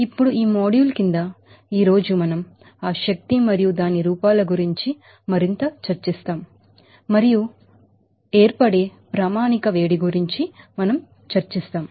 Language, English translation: Telugu, Now under this module, today we will discuss more about that energy and its forms and we will discuss how about the standard heat of formation